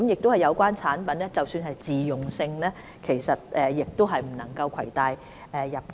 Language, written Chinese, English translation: Cantonese, 即使有關產品屬自用性質，也不獲准攜帶入境。, Even products for personal use have been prohibited from entry